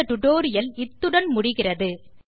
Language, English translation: Tamil, This concludes this tutorial